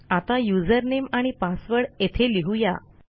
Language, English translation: Marathi, I can say username and password